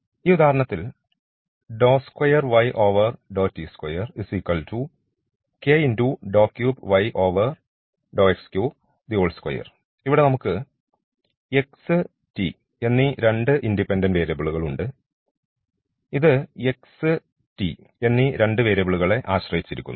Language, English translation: Malayalam, So, for instance here we have two independent variables the x and t and this we depends on two variables here x and t